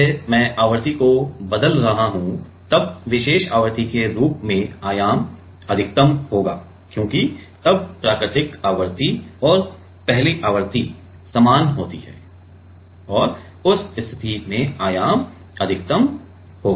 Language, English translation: Hindi, As, I am changing the frequency, then as particular frequency the amplitude will be maximum, because then the natural frequency and the natural frequency and the first frequency are same, in that case amplitude will be maximum ok